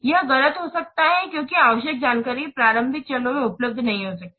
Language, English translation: Hindi, It may be inaccurate because the necessary information may not be available in the early phase